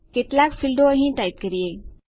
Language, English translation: Gujarati, Lets type a couple of fields here